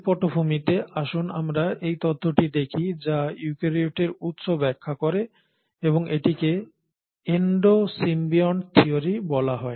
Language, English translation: Bengali, So with this background let us look at the theory which explains the origin of eukaryotes and that is called as the Endo symbiont theory